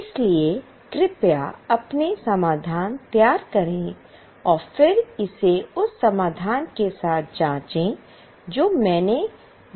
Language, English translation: Hindi, So please prepare the solution first and then check it with the solution which I am going to show